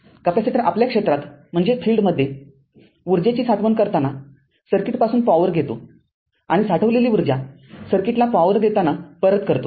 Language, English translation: Marathi, Capacitor takes power from the circuit when storing energy in its field right and returns previously stored energy when delivering power to the circuit right